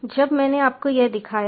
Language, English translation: Hindi, then i have already shown you this